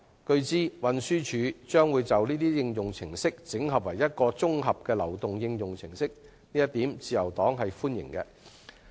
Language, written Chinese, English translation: Cantonese, 據知，運輸署將會把這些應用程式整合成為一套綜合流動應用程式，自由黨對此表示歡迎。, It has been learnt that TD will consolidate them into an integrated application which is welcomed by the Labour Party